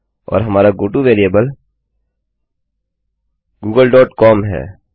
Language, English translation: Hindi, And our goto variable is google dot com